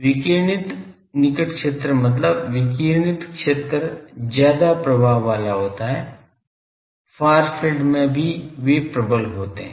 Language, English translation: Hindi, Radiating near field means, radiating fields predominate that in far fields also they predominant